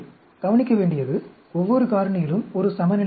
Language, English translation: Tamil, Important to notice, each of the factors, there is a balance